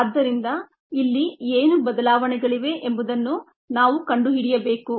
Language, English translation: Kannada, so we need to find out what changes here